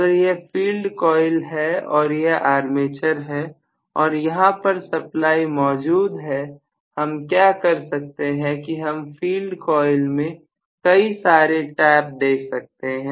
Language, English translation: Hindi, So, if this is the field coil and here is the armature and I am going to have the supply here, what I can do is to have many taps in the field coil